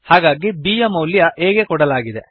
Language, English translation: Kannada, So value of b is assigned to a